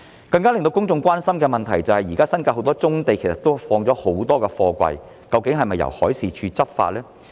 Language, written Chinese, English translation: Cantonese, 更令公眾關心的問題是，現時新界有很多棕地放置了很多貨櫃，究竟是否由海事處執法呢？, An issue of greater public concern is that there are many brownfields stuffed with containers in the New Territories is MD responsible for law enforcement in this area?